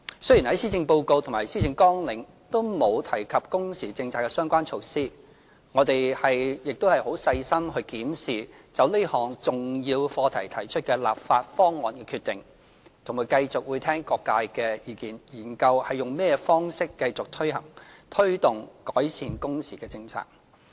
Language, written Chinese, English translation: Cantonese, 雖然施政報告及施政綱領都沒有提及工時政策的相關措施，但我們會細心檢視就這項重要課題提出的立法方案的決定，並繼續聽取各界的意見，研究以甚麼方式繼續推動改善工時的政策。, Although the Policy Address and the Policy Agenda are silent on measures related to the working hours policy we will carefully examine the decision made on the legislative proposals on this important subject and continue to listen to views expressed by various sectors before studying ways to continue promoting the policy of improving working hours